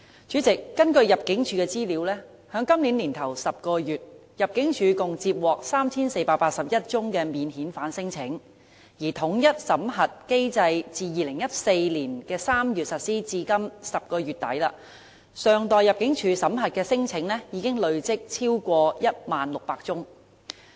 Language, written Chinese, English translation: Cantonese, 主席，根據香港入境事務處的資料，在今年首10個月，入境處共接獲 3,481 宗免遣返聲請；而統一審核機制自2014年3月實施至今年10月底，尚待入境處審核的聲請已經累積超過 10,600 宗。, President according to the information provided by the Immigration Department of Hong Kong the Department received 3 481 non - refoulement claims in the first 10 months of this year . And from the inauguration of the unified screening mechanism in March 2014 to late October this year more than 10 600 claims were pending screening by the Department